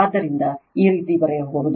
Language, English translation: Kannada, So, you can write like this